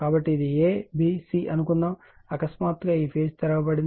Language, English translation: Telugu, So, suppose this a b c all of a sudden this, your this, phase is open right